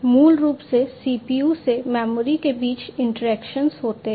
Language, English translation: Hindi, So, basically the interaction happens between the CPU to the memory